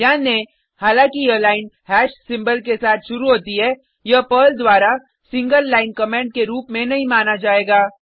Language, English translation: Hindi, Note: Though this line starts with hash symbol, it will not be considered as a single line comment by Perl